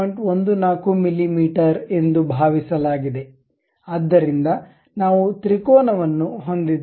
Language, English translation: Kannada, 14 mm, so we have the triangle